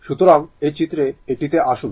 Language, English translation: Bengali, So, in figure I will come to that